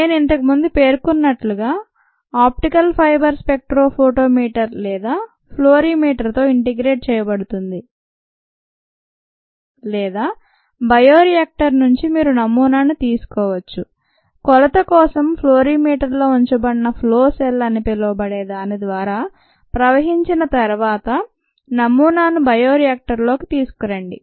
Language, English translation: Telugu, as i mentioned earlier, the optical fibre is integrated ah with a spectro photometer or a fluorimeter, or you could take a sample from the bioreactor as it is operating but bring the sample back in to the bioreactor after it flows through what is called a flow cell, which is placed in the fluorimeter for measurement